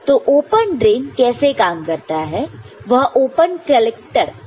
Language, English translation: Hindi, So, open drain how it works similar to open collector